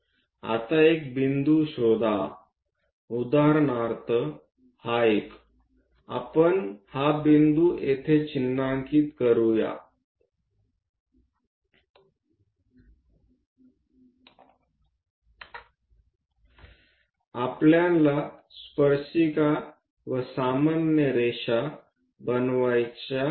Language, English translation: Marathi, Now locate a point, for example, this one; let us mark this point here, I am interested to construct tangent and normal